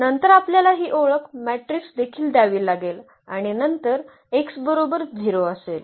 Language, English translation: Marathi, Then we have to also introduce this identity matrix and then x is equal to 0